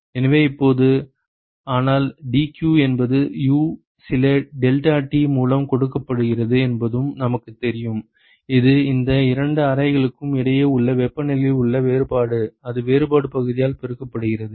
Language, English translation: Tamil, So, now, but we also know that dq is given by U some deltaT ok, which is the difference in the temperature between these two chambers multiplied by the differential area